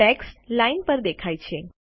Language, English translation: Gujarati, The text appears on the line